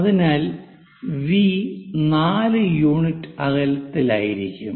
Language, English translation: Malayalam, So, V will be 4 unit distance